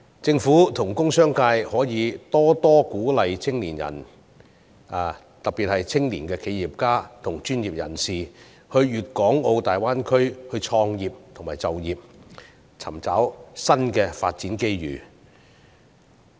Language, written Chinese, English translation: Cantonese, 政府和工商界可以多鼓勵青年人，特別是青年企業家和專業人士，到粵港澳大灣區創業和就業，尋找新的發展機遇。, The Government and the business sector may further encourage the youth especially young entrepreneurs and professionals to look for new development opportunities by starting a business or getting a job in the Greater Bay Area . President we may draw reference from the case of Qianhai